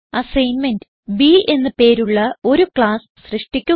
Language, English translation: Malayalam, For self assessment, create a class named B